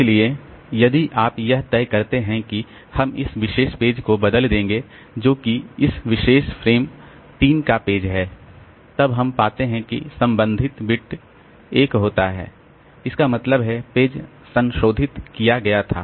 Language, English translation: Hindi, So, if you decide that I will replace page particular page that this particular frame frame 3, then we find that the corresponding beat is 1, that means the page page was modified